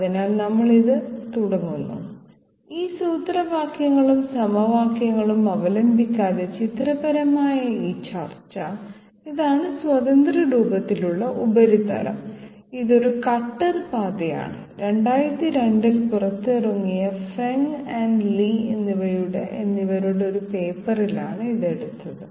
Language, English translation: Malayalam, So we start this one, this discussion pictorially without resorting to those formulae and equations, this is the free form surface and say this is a cutter path, so this has been taken by a paper by Feng and Li came out in 2002